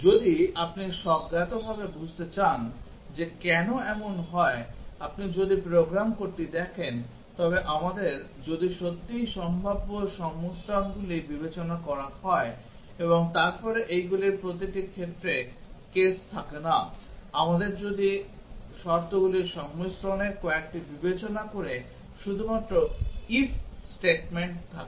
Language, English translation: Bengali, If you want to intuitively understand why it is so, if you look at the program code we do not really have the if case considering all possible combinations and then having cases for each of these, we have only if statements considering only few of the combinations of the conditions